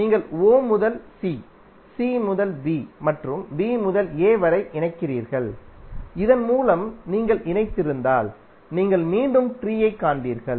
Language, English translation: Tamil, But if you connected through some session like if you connect from o to c, c to b and b to a then you will again find the tree